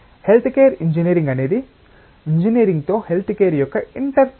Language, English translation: Telugu, Health care engineering is an interface of healthcare with engineering